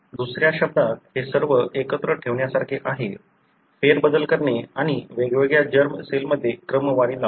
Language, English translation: Marathi, In other words it is like putting all together, shuffling and sorting it in different germ cells